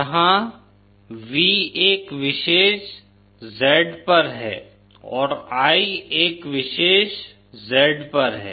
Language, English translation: Hindi, Where V at a particular Z and I at a particular Z